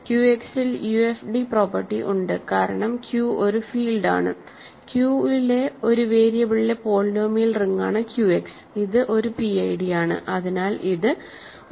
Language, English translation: Malayalam, In Q X we know that UFD property holds because Q is a field, Q X is a polynomial ring in one variable over Q which is a PID hence it is a UFD